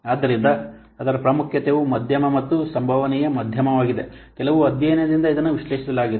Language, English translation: Kannada, So its importance is medium and likelihood medium from some study this has been analyzed